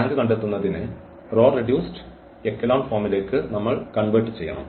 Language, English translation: Malayalam, For finding the rank we have to convert to the row reduced echelon form